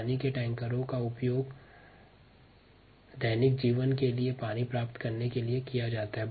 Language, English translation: Hindi, water tankers are used to get water for daily needs